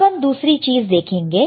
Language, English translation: Hindi, Now, let us see another one